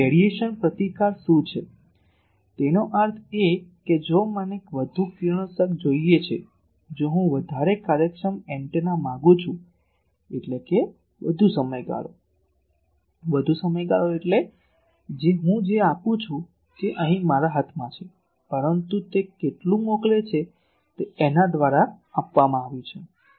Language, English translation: Gujarati, Now, what is radiation resistance; that means, if I want more radiation if I want a more efficient antenna means more period, more period means whatever I am giving is in my hand here, but how much it is sending that is given by this